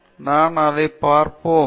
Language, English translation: Tamil, So, we will look at that